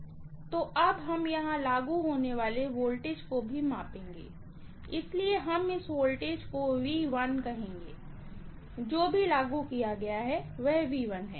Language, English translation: Hindi, So, now we will also measure the voltage what is applied here, so, we are going to call this voltage as V1, whatever is applied is V1, okay